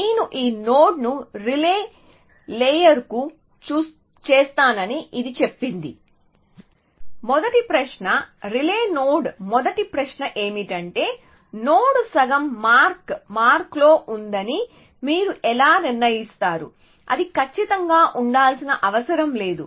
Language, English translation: Telugu, It says I will make this node to the relay layer, so the first question is relay node the first question is how you decide that the node is at the half way mark it does not have to be exact